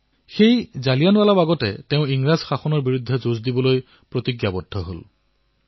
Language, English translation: Assamese, At Jallianwala Bagh, he took a vow to fight the British rule